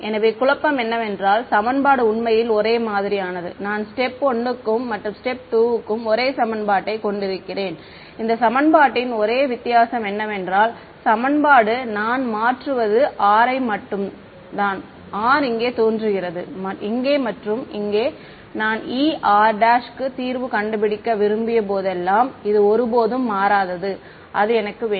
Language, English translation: Tamil, So, the confusion is that the equation is actually the same I have the same equation for step 1 and step 2; the only difference in these equation I mean the equation is the same what I am changing is r, r is appearing here, here and here this never changes when I wanted to solve for E r prime I need it